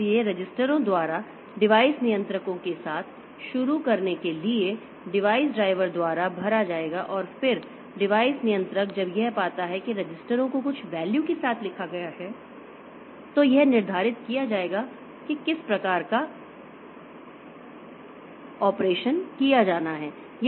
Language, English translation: Hindi, So, to start with the device controllers, registers will be filled up by the device driver and then the device controller when it finds that the registers have been written with some value, it will determine the type of operation to be done